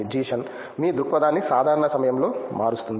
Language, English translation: Telugu, Changes your perspective in usual time